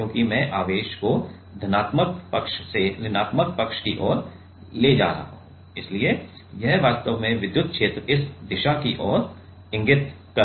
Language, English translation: Hindi, Because, I am taking the charge from the positive side to the negative side so, it will actual actually the electric field will electric field is pointing in this direction right